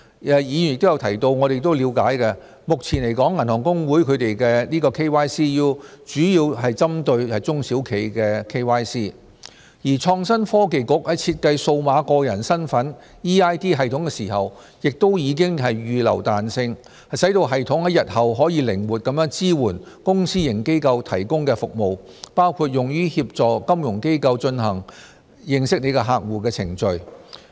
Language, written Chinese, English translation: Cantonese, 議員有提及而我們亦了解，目前來說銀行公會的 KYCU 主要是針對中小企的 KYC， 而創新及科技局在設計數碼個人身份系統時亦預留彈性，使系統在日後可靈活地支援公私營機構提供的服務，包括用於協助金融機構進行"認識你的客戶"的程序。, As Members have mentioned and according to our understanding HKAB is mainly concerned with the development of KYCU in small and medium enterprises . When the Innovation and Technology Bureau designed the eID system it has provided flexibility so that the system can easily support both public and private services including assisting financial institutions in applying KYC procedures